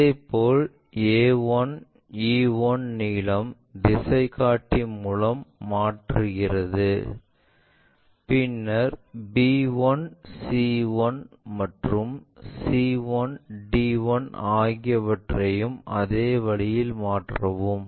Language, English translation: Tamil, Similarly, a 1 e 1 length transfer it by using compass, then b 1 c 1 and c 1 d 1 also transferred in the same way